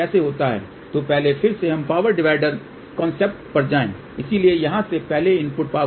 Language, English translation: Hindi, So first again let us go to the power divider concept first, so from here we gave input power here